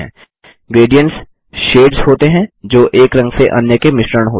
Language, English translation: Hindi, Gradients are shades that blend from one color to the other